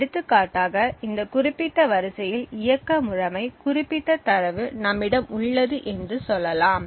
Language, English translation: Tamil, For example let us say that we have operating system specific data present in this specific row